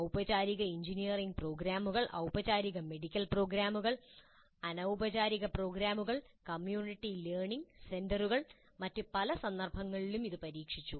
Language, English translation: Malayalam, It has been tried in formal engineering programs, formal medical programs, informal programs, community learning centers and in a variety of other contexts also it has been tried